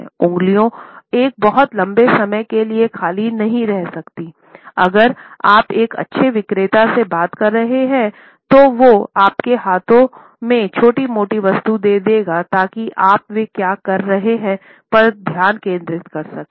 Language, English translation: Hindi, The fingers are never empty for a very long time, if you are talking to a good salesperson, they would pass on petty objects in your hands so that you can occupy your hands and focus on what they are saying